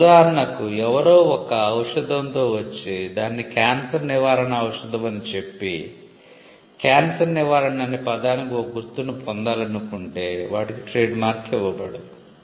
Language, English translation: Telugu, For instance, somebody comes up with a medicine and calls it cancer cure and wants to get a mark for the word cancer cure